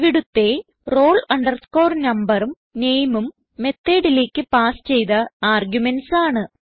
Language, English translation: Malayalam, And here roll number and name are the arguments passed in the method